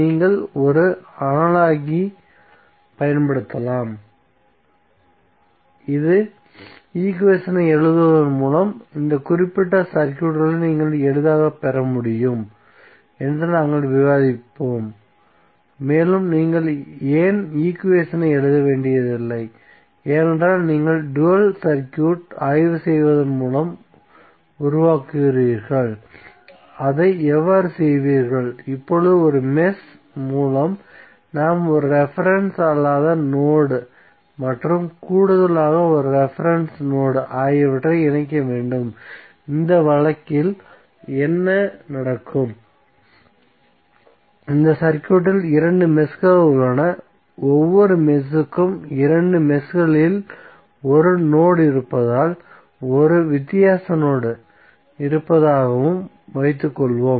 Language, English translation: Tamil, You can use one analogy which we will discuss that you can obtain this particular circuits more readily by writing the equation and you need not to write the equation why because you will construct the dual circuit by inspection, how will do that, now with each mesh we must associate one non reference node and additionally a reference node, so what will happen in this case there are two meshes which are there in this circuit, so for each mesh let us assume there is one node in both of the meshes and there is one difference node also, so let say the voltage is v1 and v2